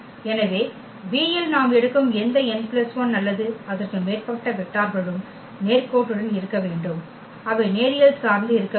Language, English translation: Tamil, So, any n plus 1 or more vectors we take in V they must be linearly they must be linearly dependent